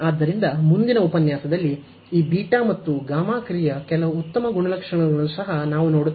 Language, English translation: Kannada, So, in the next lecture, we will also see some nice properties of this beta and gamma function also the evaluation of these such special functions